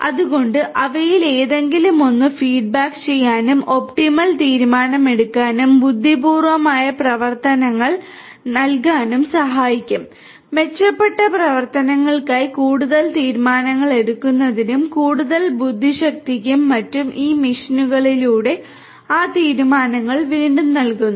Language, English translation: Malayalam, So, any of them could help further to feedback and provide optimal decision making and intelligent operations and those decisions are again fed back through these machines for improved operations improved decision making and further intelligence and so on